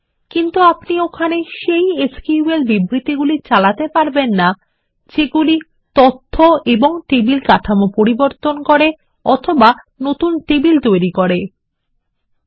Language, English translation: Bengali, But we cannot execute SQL statements which modify data and table structures or to create new tables there